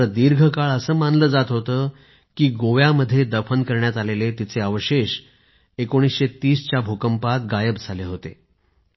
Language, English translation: Marathi, But, for a long time it was believed that her remains buried in Goa were lost in the earthquake of 1930